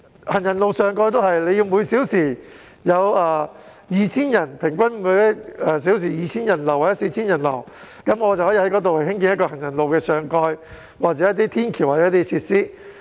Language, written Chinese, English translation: Cantonese, 行人路上蓋亦如是，人流要達每小時平均 2,000 人次或 4,000 人次，政府才在那裏興建行人路上蓋或天橋等設施。, The same is true for footpath covers . The flow of people needs to come to an average of 2 000 or 4 000 people per hour before the Government constructs footpath covers or flyovers and other facilities there